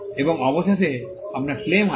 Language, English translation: Bengali, And finally, you have the claim